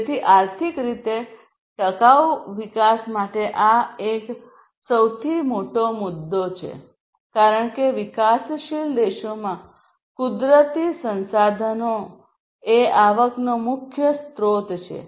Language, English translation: Gujarati, So, this is one of the biggest issues, in contrast, to economically sustainable development as natural resources are the main source of revenue in developing countries